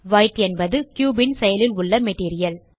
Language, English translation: Tamil, White is the cubes active material